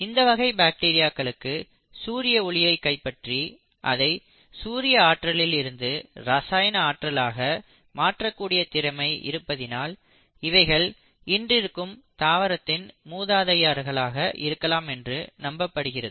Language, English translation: Tamil, And it is these group of bacteria, because of their ability to capture sunlight and convert that solar energy into chemical energy which is what you call as the glucose and sugars are believed to be the ancestors of the present day plants